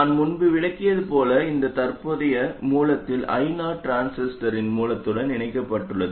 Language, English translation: Tamil, This happens because I 0 the source, the current source is connected to the source of the transistor